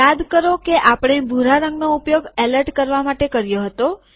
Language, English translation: Gujarati, Recall that we used the blue color for alerting